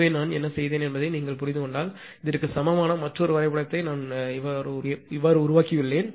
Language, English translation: Tamil, So, if you for your understanding what I have done I have made another equivalent diagram of this one